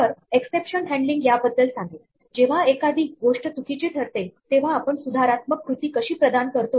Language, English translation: Marathi, So, exception handling may ask, when something goes wrong how do we provide corrective action